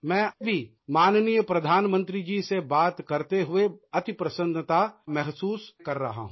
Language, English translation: Hindi, I too am feeling extremely happy while talking to respected Prime Minister